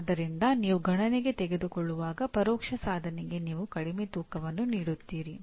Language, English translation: Kannada, So while you take into consideration, you give less weightage for the indirect attainment